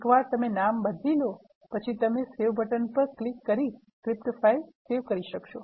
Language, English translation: Gujarati, Once you rename, you can say save, that will save the script file